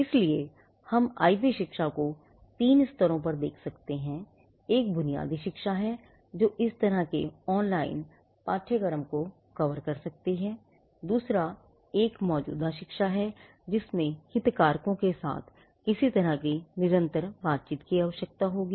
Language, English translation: Hindi, So, we can look at IP education from three levels; one is the basic education which online course like this can cover, the other is an ongoing education which would require some kind of an interaction constant interaction with the stakeholders